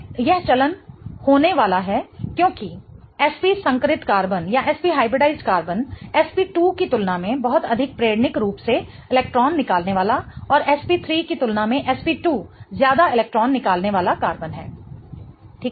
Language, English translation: Hindi, This is going to be the trend because SP hybridized carbon is much more electron withdrawing inductively as compared to SP2 and SP2 is much more electron withdrawing as compared to SP3